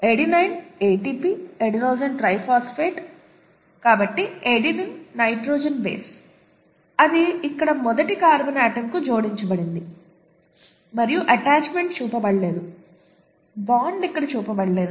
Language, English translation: Telugu, The adenine, okay, ATP, adenosine triphosphate, so the adenine, nitrogenous base it is attached to the first carbon atom here and the attachment is not shown, the bond is not shown here